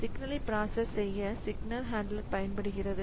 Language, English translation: Tamil, A signal handler is used to process signals